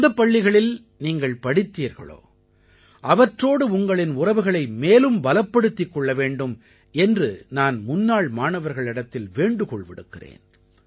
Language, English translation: Tamil, I would like to urge former students to keep consolidating their bonding with the institution in which they have studied